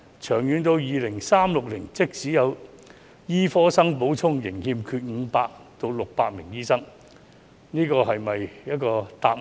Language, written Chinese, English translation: Cantonese, 長遠而言，到2036年，即使有醫科生補充，仍會欠缺500至600名醫生，這是否一個答案？, In the long run there will be a shortfall of 500 to 600 doctors by 2036 despite the supply of medical graduates . Is this the answer?